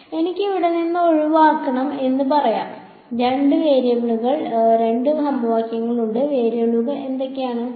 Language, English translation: Malayalam, So, lets say I want to eliminate from here there are two equations in two variables right what are the variables